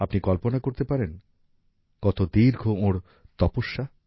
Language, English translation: Bengali, You can imagine how great his Tpasya is